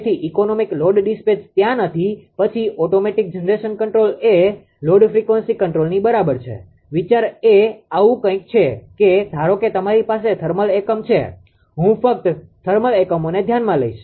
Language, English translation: Gujarati, So, economic load dispatch is not there then automatic generation control is equal to load frequency control, why idea is something like this that suppose you have a thermal unit right only I will consider your thermal units